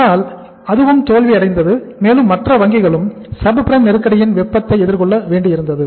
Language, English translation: Tamil, But that also failed and many other banks also had to face the heat of the subprime crisis